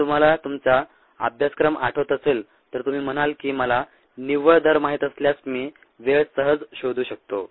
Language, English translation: Marathi, if you recall, your course, you would say: if i know the net rate, i can very easily find the tank